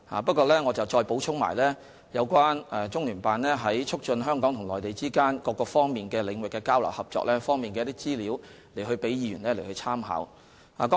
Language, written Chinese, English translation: Cantonese, 不過，我補充了關於中聯辦在促進香港與內地之間各個領域交流合作方面的資料，以供議員參考。, However for Members reference I have added some information about CPGLOs efforts to promote the exchanges and cooperation between Hong Kong and the Mainland in various areas